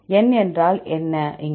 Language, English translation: Tamil, What is N here